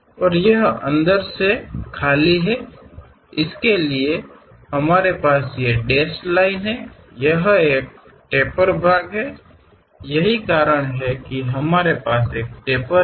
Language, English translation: Hindi, And it is hollow inside that for that we have this dashed lines; this is a tapered one that is the reason we have that tapered one